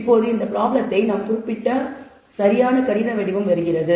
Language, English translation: Tamil, Now, comes the exact mathematical form in which we state this problem